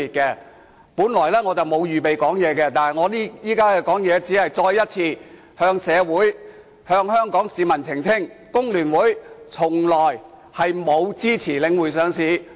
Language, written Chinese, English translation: Cantonese, 我本來沒有打算發言，我現在發言只是希望再次向社會和香港市民澄清，工聯會從來沒有支持領匯上市。, Originally I did not intend to speak but by making a speech right now I only wanted to make a clarification to society and the people of Hong Kong once again that FTU has never supported the listing of The Link REIT